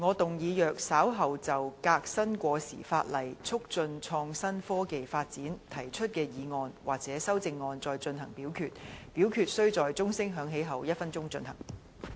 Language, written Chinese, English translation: Cantonese, 主席，我動議若稍後就"革新過時法例，促進創新科技發展"所提出的議案或修正案再進行點名表決，表決須在鐘聲響起1分鐘後進行。, President I move that in the event of further divisions being claimed in respect of the motion on Reforming outdated legislation and promoting the development of innovation and technology or any amendments thereto this Council do proceed to each of such divisions immediately after the division bell has been rung for one minute